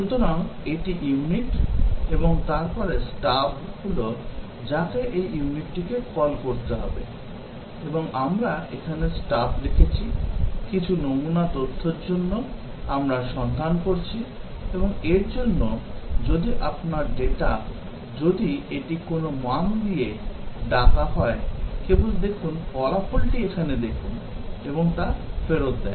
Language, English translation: Bengali, So, this is the unit and then the stub is the one which this unit needs to call and the stub we have written here, for some sample data, we look up; and for, if your data, if it is called with some value, just look, looks up the result here and returns that